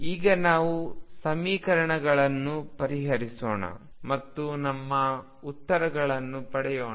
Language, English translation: Kannada, Now, let us solve the equations and get our answers